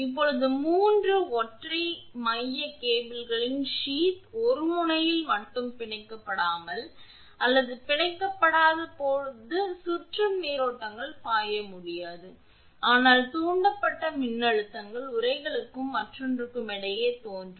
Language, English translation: Tamil, Now, when the sheath of the 3 single core cables are not bonded or bonded at one end only, circulating currents cannot flow, but induced voltages appear between the sheath and another